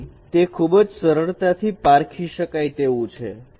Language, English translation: Gujarati, So it is very easily distinguishable